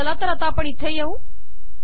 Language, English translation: Marathi, Lets come here